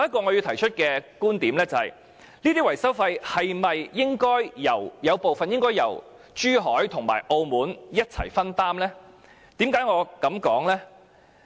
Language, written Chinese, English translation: Cantonese, 我提出的另一觀點是，這些維修費用是否應該由珠海和澳門分擔部分呢？, Another viewpoint I propose is should some of these maintenance expenses be shouldered by Zhuhai and Macao?